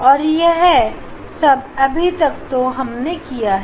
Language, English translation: Hindi, And this whatever we have done